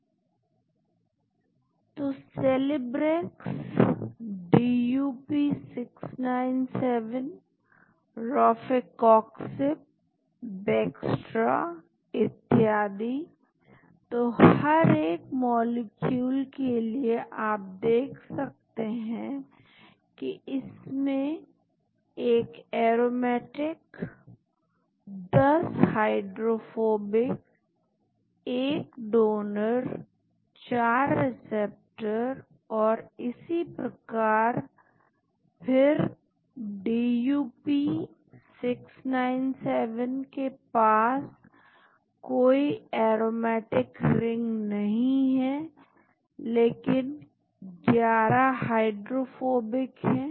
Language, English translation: Hindi, So Celebrex, DUP 697, Rofecoxib, Bextra so, for each molecule you can see this contains an aromatic, 10 hydrophobic, 1 donor, 4 acceptors and so on and then DUP 697 has no aromatic but it has got 11 hydrophobic